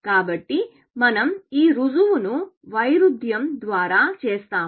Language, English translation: Telugu, So, we will do this proof by contradiction